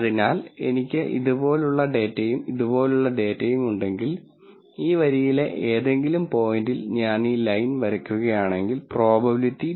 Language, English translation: Malayalam, So, if I had data like this and data like this and if I draw this line any point on this line is the probability equal to 0